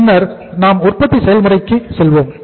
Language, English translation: Tamil, Then we go for the manufacturing process